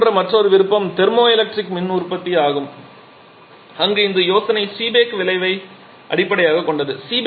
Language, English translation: Tamil, Another quite similar option is the thermoelectric power generation where the idea is based upon the Seebeck effect